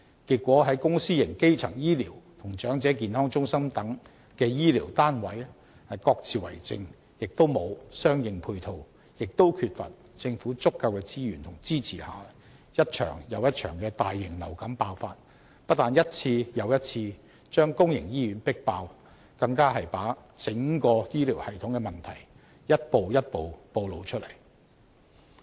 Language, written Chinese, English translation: Cantonese, 結果，在公私營基層醫療與長者健康中心等的醫療單位各自為政，既沒有相應配套，也缺乏政府足夠的資源和支持下，一場又一場的大型流感爆發，不但一次又一次把公營醫院迫爆，更把整個醫療系統的問題一步一步暴露出來。, As a result health care units in the public and private primary health care sectors and also Elderly Health Centres follow their own policies . The absence of any corresponding support measures coupled with the lack of sufficient government resources and support has led to successive outbreaks of influenza epidemics . Not only are public hospitals flooded by patients one time after another but the problems with the entire health care system are also exposed one after another